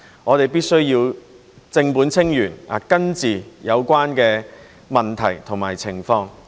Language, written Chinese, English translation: Cantonese, 我們必須正本清源，根治有關的問題和情況。, We must tackle the problem at root and come up with a fundamental solution to the problem and situation